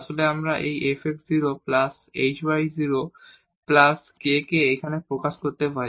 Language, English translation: Bengali, And in that case we can write down this f x 0 plus h